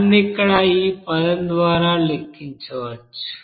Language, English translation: Telugu, That can be calculated by this term here it is given